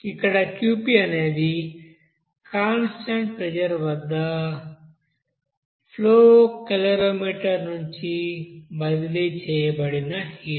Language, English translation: Telugu, Here Qp designates you know the heat transferred from the flow calorimeter at a constant pressure